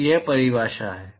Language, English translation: Hindi, So, that is the definition